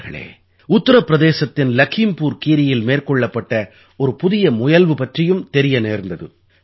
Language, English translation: Tamil, Friends, I have also come to know about an attempt made in LakhimpurKheri in Uttar Pradesh